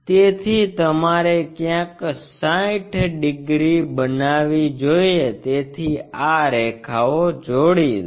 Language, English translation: Gujarati, So, you supposed to make 60 degrees somewhere there so join these lines